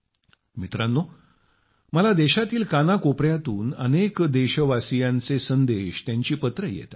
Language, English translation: Marathi, Friends, I get messages and letters from countless countrymen spanning every corner of the country